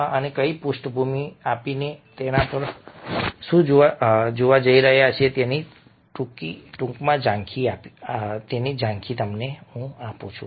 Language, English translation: Gujarati, so, giving you this background, let me quickly give you an overview of what we are going to look at